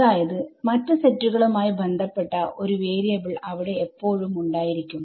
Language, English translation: Malayalam, Yeah, there will always be one variable which belongs to the other set somewhere